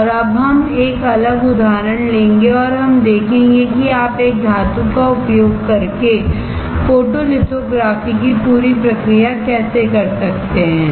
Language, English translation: Hindi, And now we will take a different example and we will see how can you do a complete process of photolithography using a metal